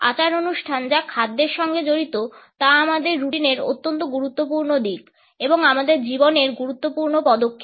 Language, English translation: Bengali, Rituals which involve food are very important aspects of our routine and significant steps in our life